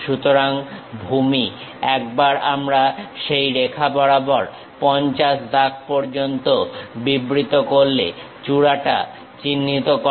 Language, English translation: Bengali, So, base once we have defined, along that line up to 50 marks point the peak